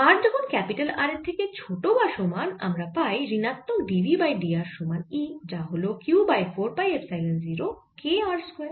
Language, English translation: Bengali, for r less than equal to r, we have again minus d v over d r equals e, which now is q over four pi epsilon zero k r square